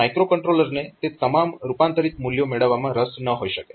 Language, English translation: Gujarati, So, the micro controller may not be interested in getting all those converted values